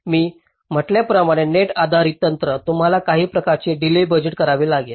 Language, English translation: Marathi, so, net based technique, as i had said, you have to do some kind of delay budgeting